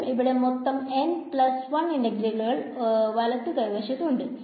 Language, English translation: Malayalam, So, I have a total of n plus 1 integrals on the right hand side again